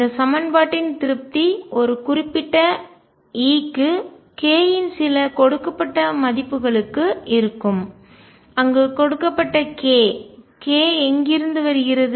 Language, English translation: Tamil, And satisfaction of this equation will be for certain values of E for a given k where a given k, where does the k come from